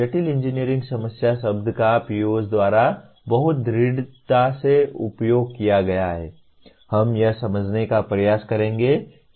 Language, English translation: Hindi, The word complex engineering problem has been very strongly used by the POs we will make an attempt to understand what they are